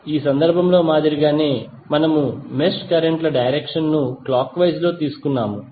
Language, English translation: Telugu, Like in this case we have done the, we have taken the direction of the mesh currents as clockwise